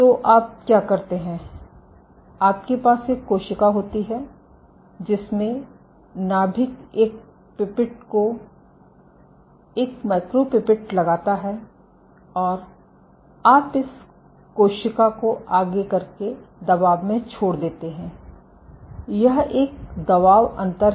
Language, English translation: Hindi, So, what you do is you have a cell, if this is your cell with the nucleus put a pipette a micropipette and you expose this cell go step jump in pressure, this is a pressure difference